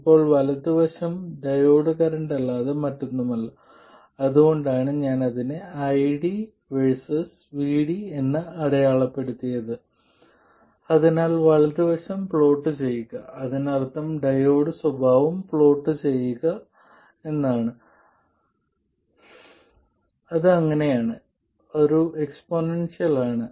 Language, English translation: Malayalam, Now the right side is nothing but the diode current so that's why I have marked it as ID versus VD so plotting the right side simply means plotting the diode characteristics which are like that it is the exponential